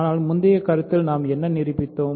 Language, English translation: Tamil, But what did we prove in the previous proposition